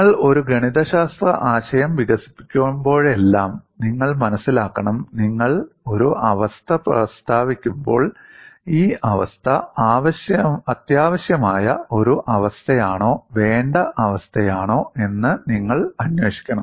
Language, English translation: Malayalam, Whenever you develop a mathematical concept, you have to realize, when you state a condition; you have to investigate whether the condition is a necessary condition as well as a sufficient condition